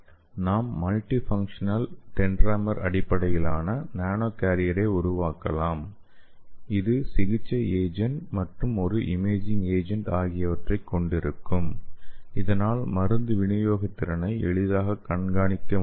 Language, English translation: Tamil, And we can also make multifunctional dendrimer based nano carrier, which will be having therapeutic agent also it will be having a imaging agent so we can easily monitor the drug delivery efficiency